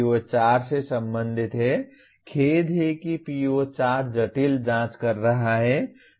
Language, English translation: Hindi, PO4 is related to, sorry PO4 is conducting complex investigations